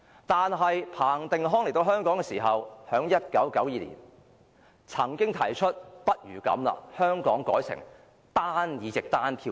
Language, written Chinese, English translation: Cantonese, 但是，彭定康來到香港時，在1992年曾提出不如把香港的制度改成單議席單票制。, However after Chris PATTEN arrived at Hong Kong in 1992 he said that it might be good to change Hong Kongs system to the single - seat single vote system